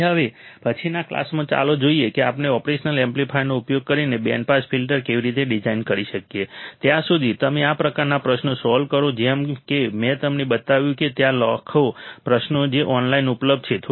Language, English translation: Gujarati, So, in the next class let us see how we can design a band pass filter using an operational amplifier, till then, you solve this kind of questions like what I have shown it to you there are millions of questions that is available online try to solve few more questions and you will get a better idea right